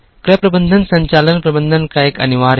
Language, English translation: Hindi, Purchasing management is an essential part of operations management